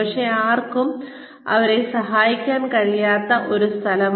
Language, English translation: Malayalam, But, in a place, where nobody will be able to help them